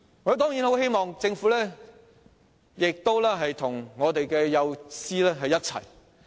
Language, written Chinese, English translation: Cantonese, 我當然很希望政府能與幼稚園教師站在同一陣線。, I certainly hope that the Government can stand on the same side of kindergarten teachers